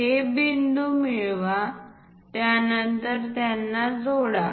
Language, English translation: Marathi, Identify these points, then join them